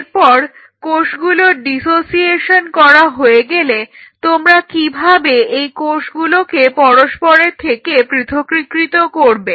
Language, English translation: Bengali, Next once you have dissociated these cells how you can separate out in the cells